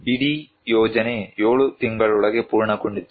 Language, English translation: Kannada, The whole project was completed within 7 months